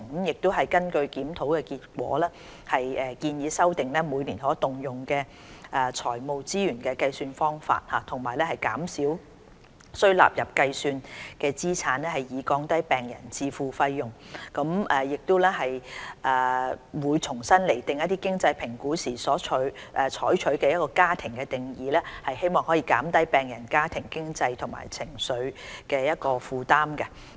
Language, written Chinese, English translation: Cantonese, 根據檢討結果，我們建議修訂每年可動用財務資源的計算方法，減少須納入計算的資產，以降低病人自付的費用；亦會重新釐定經濟評估時所採取的"家庭"定義，希望可以減輕病人家庭的經濟和情緒負擔。, The relevant review is close to completion . Based on the findings of the review we suggest modifying the calculation method of the annual disposable financial resources of patients by lowering the contribution of assets that has to be calculated so as to lower the patients out - of - pocket spending . We will also revise the definition of family for the purposes of financial assessment so as to relieve the patient families financial and emotional burdens